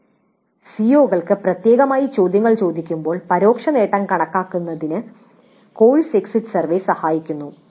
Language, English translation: Malayalam, So course exit survey aids in computing the indirect attainment particularly when questions are asked specific to COs